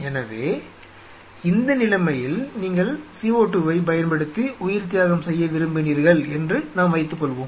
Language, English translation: Tamil, So, let us assume in this situation then you wanted to do a CO2 sacrificing